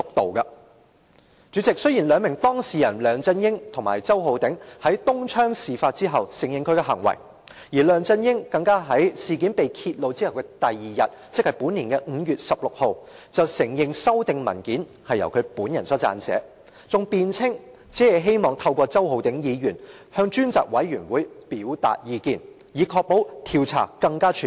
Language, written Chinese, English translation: Cantonese, 代理主席，雖然梁振英和周浩鼎議員兩名當事人在東窗事發後承認他們的行為，而梁振英更在事件被揭露後翌日承認修訂文件是由他本人所撰寫，還辯稱只是希望透過周浩鼎議員向專責委員會表達意見，以確保調查更全面。, Deputy President LEUNG Chun - ying and Mr Holden CHOW openly admitted what they did the following day after the incident came to light . LEUNG Chun - ying admitted on 16 May this year the following day after the incident was exposed that he personally amended the paper and he also defended himself by saying that he merely wished to express his views to the Select Committee through Mr Holden CHOW to ensure the comprehensiveness of the enquiry